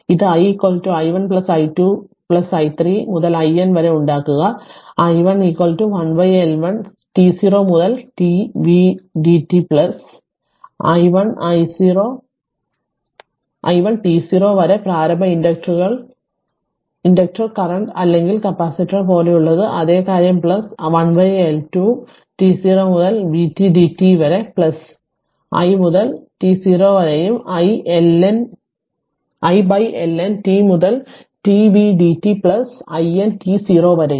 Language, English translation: Malayalam, If you make it i is equal to i1 plus i2 plus i3 up to i N right and we know that i i1 is equal to 1 upon L1 t 0 to t v dt plus i1 t 0 that is initial inductor current or like like capacitor whatever we do it same thing plus 1 upon L 2 t 0 to t v dt plus i to t 0 and up to what you call 1 upon L N t 0 to t v dt plus i N t 0